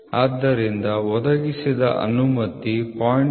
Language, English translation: Kannada, So, allowance provided is equal to 0